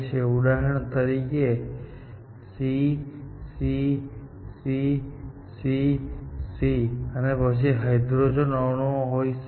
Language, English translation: Gujarati, So, for example, it could be like this; C, C, C, C, C; and then, the hydrogen items